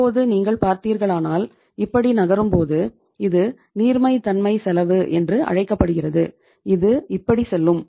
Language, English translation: Tamil, Now if you see if you are moving like this, this is called as the cost of uh liquidity which will go like this